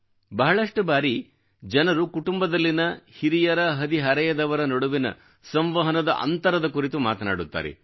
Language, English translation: Kannada, People generally talk of a communication gap between the elders and teenagers in the family